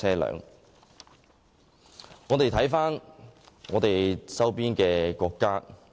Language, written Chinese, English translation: Cantonese, 讓我們看看周邊國家。, Let us look at some countries around us